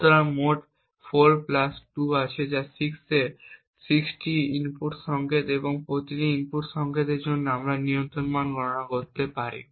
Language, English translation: Bengali, So, there are a total of 4 plus 2 that is 6 input signals and for each of these input signals we can compute the control value